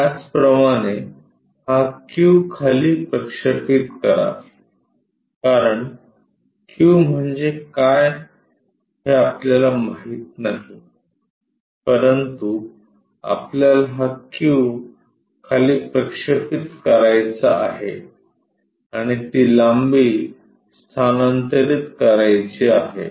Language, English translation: Marathi, Similarly, project this q all the way down, because we do not know what will be the q, but we want to project this q all the way down and transfer that length